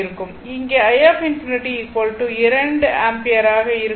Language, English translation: Tamil, So, i infinity will be 2 ampere right